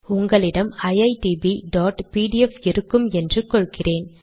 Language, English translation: Tamil, Here I am assuming that iitb.pdf is available